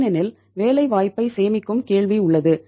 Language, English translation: Tamil, Because there is a question of saving the employment